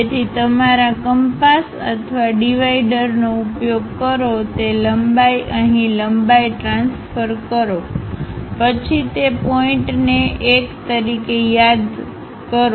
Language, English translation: Gujarati, So, use your compass or divider whatever that length transfer that length to here, then call that point as 1